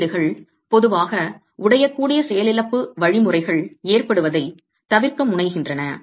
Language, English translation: Tamil, That is and codes typically tend to avoid occurrence of brittle failure mechanisms